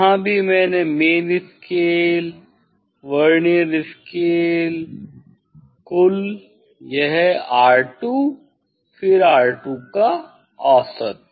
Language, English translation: Hindi, here also main scale reading, Vernier scale reading, total this R 2 then mean R 2